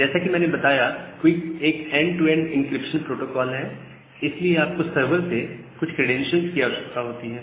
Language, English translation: Hindi, So, as I have mentioned that QUIC is an end to end encryption protocol because of that you require certain credential from the server